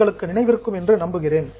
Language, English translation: Tamil, I hope you remember